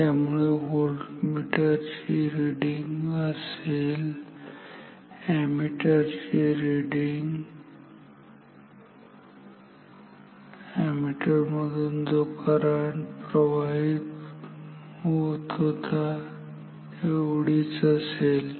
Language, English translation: Marathi, So, this will be the voltmeter reading and the ammeter reading is the current is same as the current that was through the ammeter